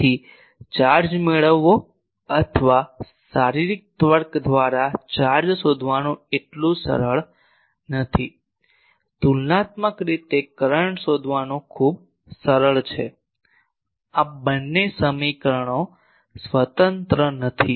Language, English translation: Gujarati, So, finding charged or by physically reasoning charge is not so easy; comparatively finding current is much more easy also these two equations are not independent